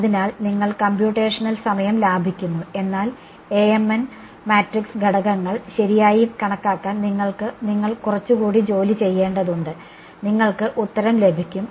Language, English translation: Malayalam, So, you are saving on computational time, but you have to do a little bit more work to calculate Amn the matrix elements right and you get the answer right